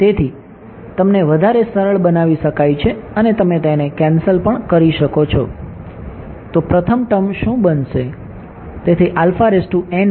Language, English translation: Gujarati, So, this will further simplify you can cancel it off, so the first term is going to become what will it become